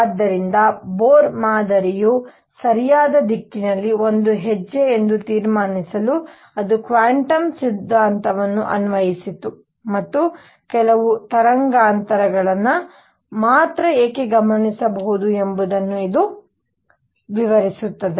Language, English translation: Kannada, So, to conclude Bohr model was a step in the right direction, it applied quantum theory and it could explain why the only certain wavelengths are observed